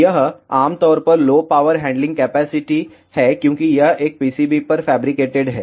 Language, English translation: Hindi, It has typically low power handling capacity after all it is fabricated on a PCB